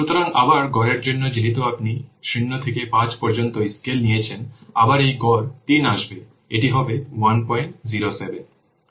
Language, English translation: Bengali, So, again, for average, since you have taking a scale from 0 to 5, again, this is average will be coming 3